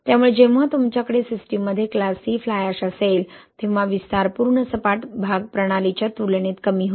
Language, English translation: Marathi, So when you have class C fly ash in system, the expansion was less compared to the plane system